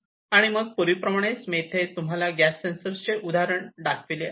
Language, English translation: Marathi, So, like before let me show you the example of a gas sensor